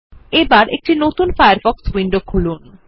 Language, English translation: Bengali, And open a new Firefox window